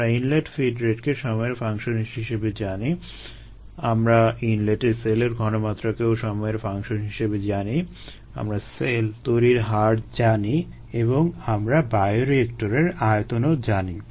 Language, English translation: Bengali, we know the inlet feed rate as a function of time, we know the inlet cell concentration as a function of time, we know rate of cell formation and we know the volume of the bioreactor